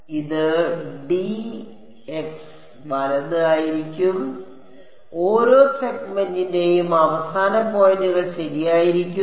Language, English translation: Malayalam, So, this will be d x right the endpoints for each segment will be there right